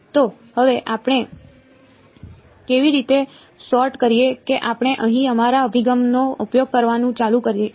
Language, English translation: Gujarati, So, now how do we sort of how do we continue to use our approach over here